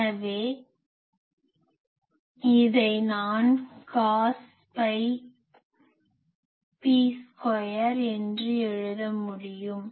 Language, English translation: Tamil, So, I can write this is cos; phi p square